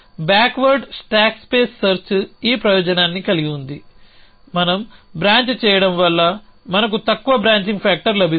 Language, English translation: Telugu, So, backward stack space search has this advantage that we branching we get a low branching factor